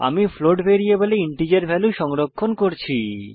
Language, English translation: Bengali, Im storing the integer value in a float variable